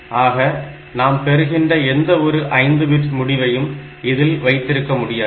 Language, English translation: Tamil, So, we cannot have this any results coming out which is 5 bit